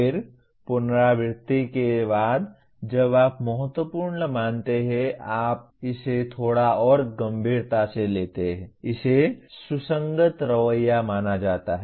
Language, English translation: Hindi, Then after repetition when you consider important; that is you now take it a little more seriously it is considered consistent attitude